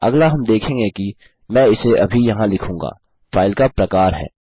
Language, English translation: Hindi, The next one well look at is Ill just type it here is the type of file